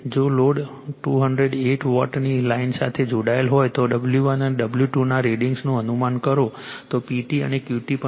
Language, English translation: Gujarati, If the load is connected to 208 volt, a 208 volt lines, predict the readings of W 1 and W 2 also find P T and Q T right